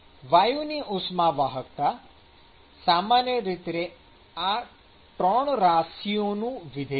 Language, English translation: Gujarati, And so the conductivity of the gas is typically a function of these three